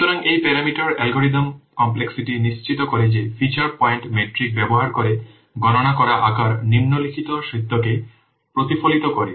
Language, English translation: Bengali, So this parameter, this parameter algorithm complexity, it ensures that the computed size using the feature point metric, it reflects the following fact